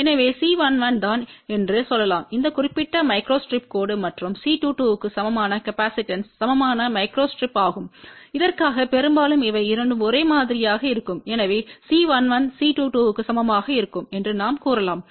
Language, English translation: Tamil, So, let us say C 1 1 is the equivalent capacitance for this particular micro strip line and C 2 2 is the equivalent micro strip for this most of the time these two will identical, so we can say C 1 1 will be equal to C 2 2